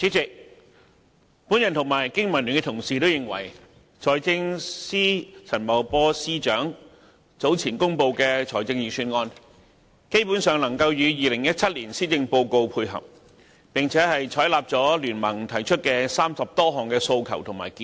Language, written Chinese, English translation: Cantonese, 主席，我及香港經濟民生聯盟的同事，也認為財政司司長陳茂波早前公布的財政預算案，基本上能與2017年施政報告配合，並採納了經民聯提出的30多項訴求與建議。, President my colleagues from the Business and Professionals Alliance for Hong Kong BPA and I hold the view that the Budget announced earlier by Financial Secretary Paul CHAN can basically tie in with the 2017 Policy Address . We would also like to add that some 30 requests and proposals put forward by BPA have been accepted